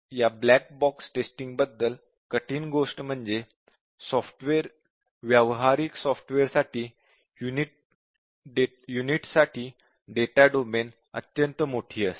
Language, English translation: Marathi, The hard about this black box testing, it is very hard because typically, for a practical software, the data for a unit will be extremely large, the data domain